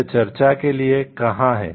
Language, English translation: Hindi, Where this is for the discussion